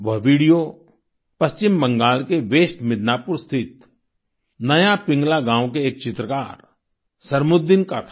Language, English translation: Hindi, That video was of Sarmuddin, a painter from Naya Pingla village in West Midnapore, West Bengal